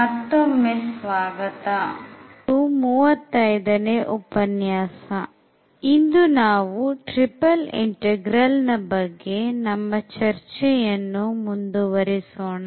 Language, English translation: Kannada, So, welcome back and this is lecture number 35 today we will continue again with Triple Integral